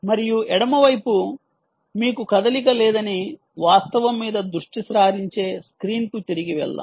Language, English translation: Telugu, and let us go back to the screen which focuses on the fact that you have no motion on the left side